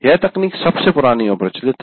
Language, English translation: Hindi, The technology is the oldest and most prevalent